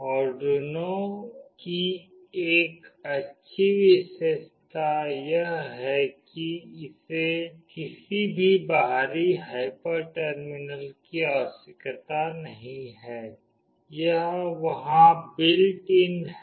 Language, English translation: Hindi, Arduino has a good feature that it does not require any external hyper terminal, it is in built there